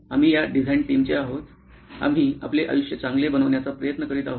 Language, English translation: Marathi, We are from this design team, we are trying to make people like your lives better